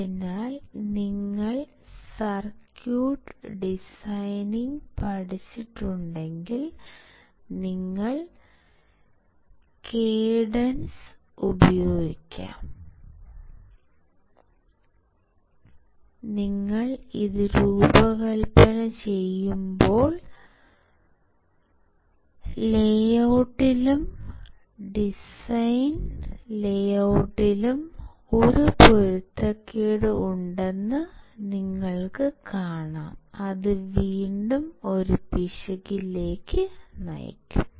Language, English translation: Malayalam, So, if you guys have learnt circuit designing, you will use cadence , and then you when you design it you will see the there is a mismatch in the layout and design layout, which will again lead to an error